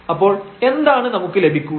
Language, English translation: Malayalam, And what do we get